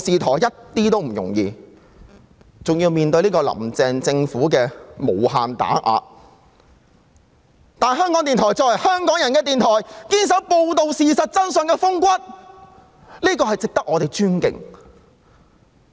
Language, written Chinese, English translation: Cantonese, 況且，還要面對"林鄭"政府的無限打壓，但香港電台作為香港人的電台，能堅守報道事實真相的風骨，實在值得我們尊敬。, Moreover the Radio Television Hong Kong RTHK is endlessly suppressed by Carrie LAM Administration but it is indeed worthy of our respect in that it can still manage to uphold its ethos as a radio station for Hong Kong people